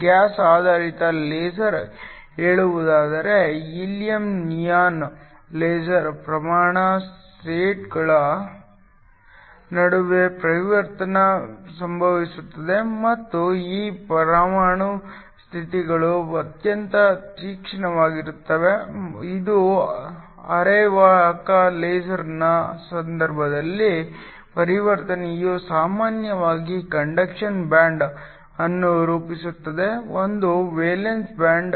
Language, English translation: Kannada, In the case of gas based laser say a helium neon laser the transition occurs between atomic states and these atomic states are very sharp which gives rise to the high monochromaticity, on the case of a semiconductor laser though the transition is usually form a conduction band to a valence band